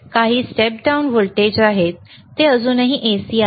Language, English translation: Marathi, We are stepping down to some voltage, and thenwhich is still AC